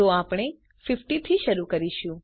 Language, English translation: Gujarati, So we start with 50